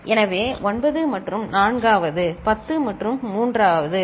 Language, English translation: Tamil, So, 9th and 4th; 10th and 3rd ok